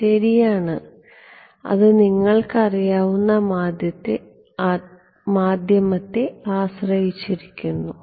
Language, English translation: Malayalam, Well that is depends on the medium you know